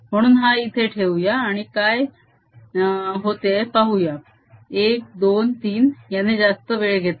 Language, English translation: Marathi, so let's put it and see what happens: one, two, three